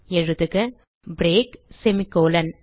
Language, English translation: Tamil, So type break semicolon